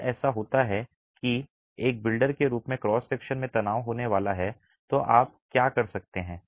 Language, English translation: Hindi, If it so happens that there is going to be tension in the cross section, as a builder what could you do